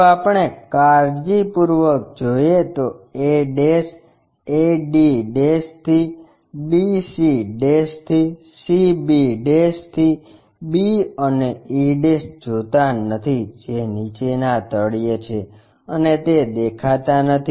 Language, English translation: Gujarati, If we are looking carefully a' a d' to d c' to c b' to b and the e' which is at bottom of that which is not visible